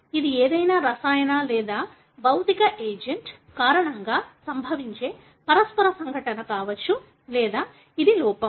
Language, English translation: Telugu, It could be mutational event happening because of some chemical or physical agent or it is an error